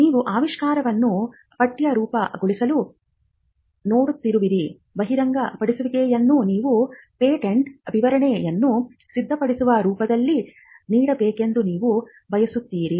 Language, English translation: Kannada, But because you are looking to textualize the invention, you would want the disclosure to be given in a form in which you can prepare the patent specification